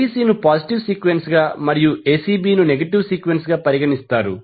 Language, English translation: Telugu, So, ABC is considered as a positive sequence and a ACB is considered as a negative phase sequence